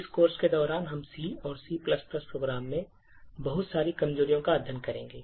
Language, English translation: Hindi, During this course we will be studying a lot of vulnerabilities in C and C++ programs